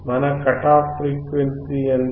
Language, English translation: Telugu, What is our cut off frequency